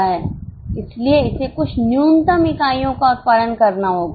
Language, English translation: Hindi, So, it has to produce certain minimum units